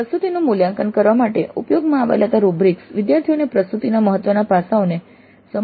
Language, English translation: Gujarati, The rubrics which are used to evaluate the presentation can help the students understand the important aspects of presentation